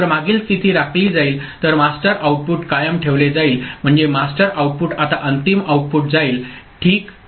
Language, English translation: Marathi, So, previous state will be retained, so master output is retained so, that master output now goes to the final output ok